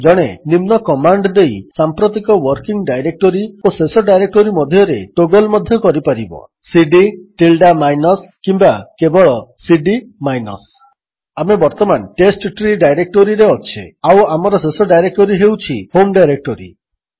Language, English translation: Odia, One may also toggle between the current working directory and the last directory used by giving the command cd ~ minus or only cd minus Like now that we are in the testtree directory, the last directory we visited was the home directory